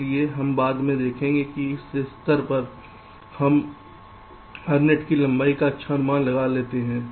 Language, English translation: Hindi, so we shall see later that at this stage we can make a good estimate of the length of every net